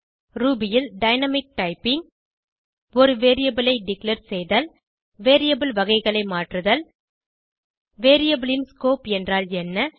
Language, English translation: Tamil, Dynamic typing in Ruby Declaring a variable Converting variable types What is variables scope